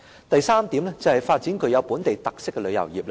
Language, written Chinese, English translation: Cantonese, 主席，第三是發展具本地特色的旅遊業。, President thirdly tourism featuring local characteristics should be developed